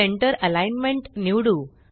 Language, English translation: Marathi, Let us choose centre alignment